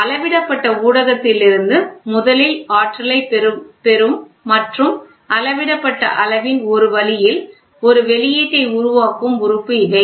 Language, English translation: Tamil, These are the element that first receives energy from the measured media and produces an output depending in some way of the measured quantity